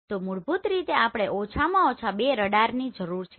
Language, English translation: Gujarati, So basically we need at least two radar right